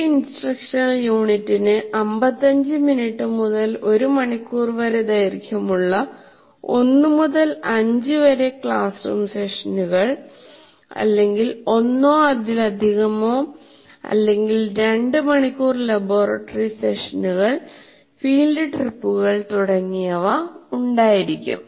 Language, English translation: Malayalam, So, as a result, an instructional unit will have 1 to 5 classroom sessions of 15 minutes to 1 hour duration or 1 or more 2 hour laboratory sessions, field trips, etc